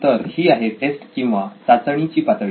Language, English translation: Marathi, So this is the stage called Test